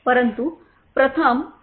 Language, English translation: Marathi, but let us first ask Mr